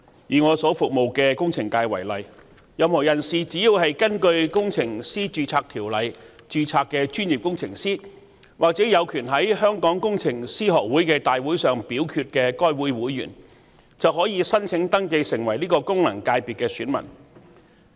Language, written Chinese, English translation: Cantonese, 以我所服務的工程界為例，任何人士只要是根據《工程師註冊條例》註冊的專業工程師或有權在香港工程師學會大會上表決的會員，便可以申請登記成為該功能界別的選民。, Take for instance the engineering sector in which I serve . Any person who is a professional engineer registered under the Engineers Registration Ordinance or is a member of the Hong Kong Institution of Engineers with a voting right in the Institutions general meeting can apply to register as an elector in that FC